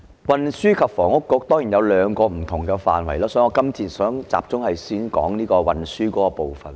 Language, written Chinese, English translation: Cantonese, 運房局有兩個不同的工作範疇，我今次想先集中談談運輸的部分。, There are two different areas of work in the Transport and Housing Bureau and this time I would like to focus on transport first